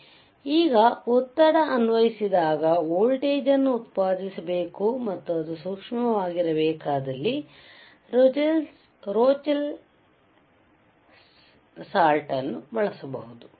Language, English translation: Kannada, So, now, we can say that if I want to have if I want to generate a voltage when I apply pressure and and it should be sensitive, then we can use a Rochelle salt alright